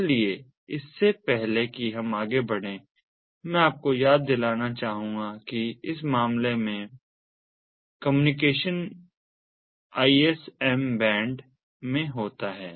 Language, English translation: Hindi, so before before we go any further, i would like to remind you that in this case the communication takes place in the ism band